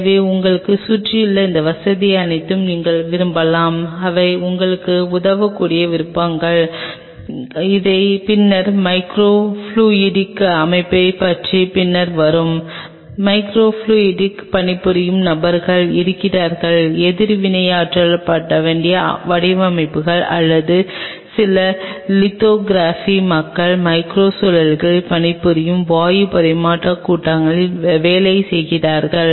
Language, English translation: Tamil, So, you may love to have all these facilities in an around you and these are the kind of things where these are helpful for will be coming later into this about micro fluidic set up there are people who are working on micro fluidics there are people who works on reacted designs or micro reactors there are working were use working on gas exchange assemblies there a people who are some lithography